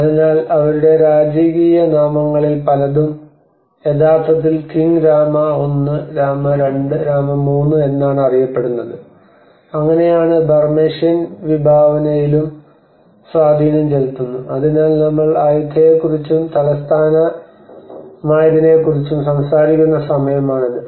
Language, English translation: Malayalam, So many of their king names is actually named of king Rama 1 Rama 2 Rama 3, and that is how the Burmesian envision also has an impact on, so this is the time we are talking about Ayutthaya and which has been the capital as well